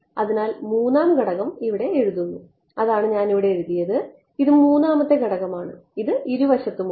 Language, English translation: Malayalam, So, the 3rd component is being written over here this equation over here right that is what I have written over here this is the 3rd component which is on both side we have the 3rd component ok